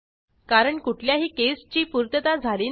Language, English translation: Marathi, This is because none of the cases were satisfied